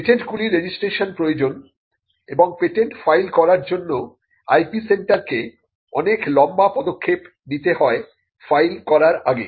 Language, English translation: Bengali, Patents require registration and for filing patents there is a series of steps that the IP centre has to involve in before a patent can be filed